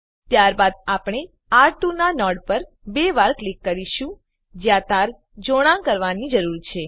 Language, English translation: Gujarati, Then we will double click on node of R2 where wire needs to be connected